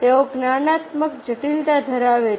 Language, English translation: Gujarati, then cognitive complexity